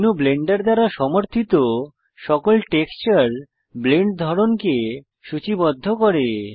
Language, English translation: Bengali, This menu lists all the texture Blend types supported by Blender